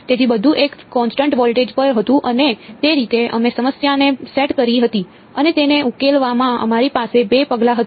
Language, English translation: Gujarati, So, everything was at a constant voltage and that is how we had set the problem up and in solving it we had two steps right